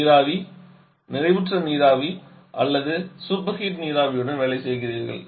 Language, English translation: Tamil, You are working with vapour, saturated vapour or superheated vapour